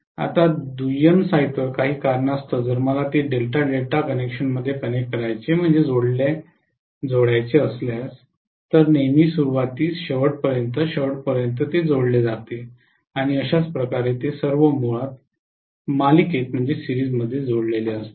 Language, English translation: Marathi, Now on the secondary site, for some reason if I want to connect it in delta, delta connection always connects beginning to the end, beginning to the end and so on they are all connected in series addition basically